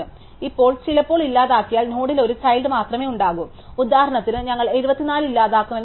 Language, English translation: Malayalam, Now, sometimes a deleted node might have only one child, for instance supposing we delete 74